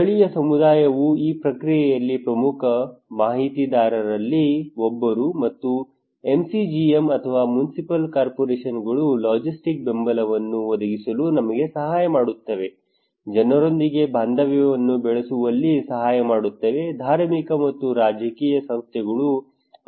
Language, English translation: Kannada, Local community was the key Informant one of the main actor in this process and MCGM or Municipal Corporations also helped us providing logistics support, helping in building rapport with the people, facilitative say religious and political organizations